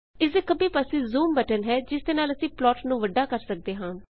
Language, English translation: Punjabi, Left to this is the zoom button by which we can zoom into the plot